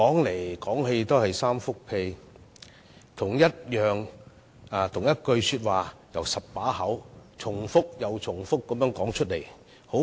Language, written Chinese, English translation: Cantonese, 為何他們要將同一番話由10張嘴巴重複又重複地說出來呢？, Why did they want to have 10 Members repeat the same viewpoint over and over again?